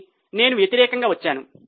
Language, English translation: Telugu, But I have gone in a reverse way